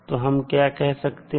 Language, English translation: Hindi, So, what we can say